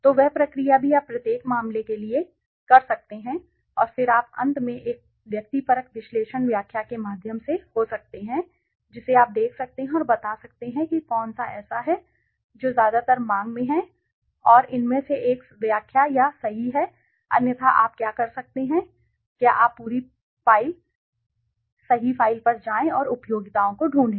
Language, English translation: Hindi, So, that process also you can do it for each case right so by doing that and then you can finally may be through a subjective analysis interpretation you can see and tell which is the one which is the which is mostly in demand and you can make a interpretation out of it or right so otherwise what you can do is you go the complete file right the complete file and find the utilities